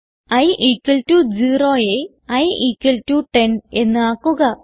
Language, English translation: Malayalam, So change i equal to 0 to i equal to 10